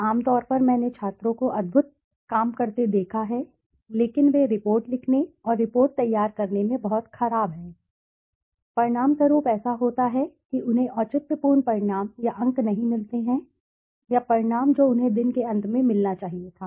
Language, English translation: Hindi, Generally I have seen students make wonderful work but they are very poor at report writing and report preparation as a result what happens is they don't get the justified result or the marks or the outcome what they should have got at the end of the day